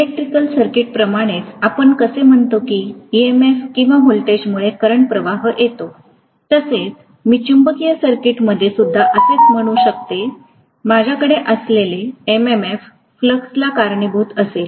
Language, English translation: Marathi, Just like in an electrical circuit, how we say that EMF or voltage causes current flow” I can say the same way in a magnetic circuit, I am going to have MMF causing the flux